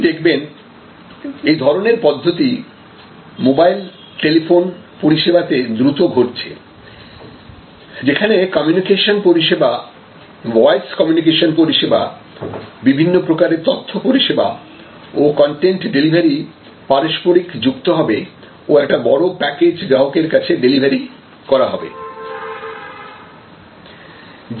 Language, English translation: Bengali, And you will see this kind of processes developing much faster in a mobile telephony type of services, where the communication service, voice communication service the different types of data services, the different type of content delivery services will get interwoven and will increase the overall package that are being delivered to the same customer